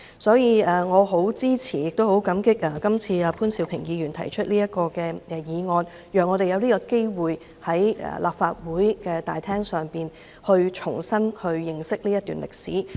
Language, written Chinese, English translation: Cantonese, 所以，我很支持亦很感激潘兆平議員此次提出這項議案，讓我們有機會在立法會議事廳內重新認識這段歷史。, Therefore I very much support the motion and I am grateful to Mr POON Siu - ping who has proposed this motion to give us the opportunity to re - examine this period of history in the Legislative Council Chamber